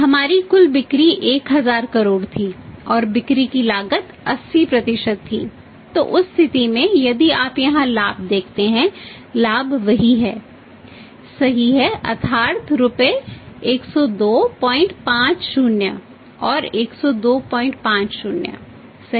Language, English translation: Hindi, Our total sales were 1000 crores and the cost of sales was 80% so in that case if you look at the prophet here profit is same right that is rupees 102